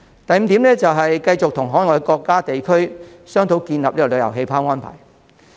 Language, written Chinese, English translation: Cantonese, 第五，是繼續與海外國家和地區商討建立旅遊氣泡的安排。, Fifth we should continue to discuss with overseas countries and places on establishing travel bubbles